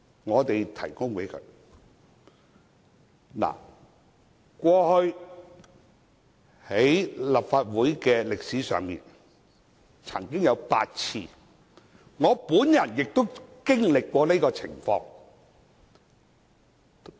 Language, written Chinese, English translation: Cantonese, 過去，這種情況在立法會歷史上曾經出現8次，我亦曾經歷這種情況。, Similar incidents occurred eight times in the history of the Legislative Council . I myself had come across such cases